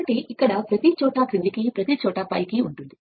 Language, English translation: Telugu, So, the here every where downward everywhere it is upward